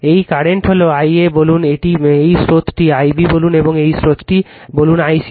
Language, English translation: Bengali, This current is say i a right, this current is say i b, and this current is say i c right